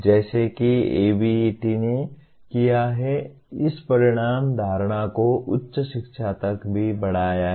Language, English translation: Hindi, As ABET has done it has extended this outcome concept to higher education as well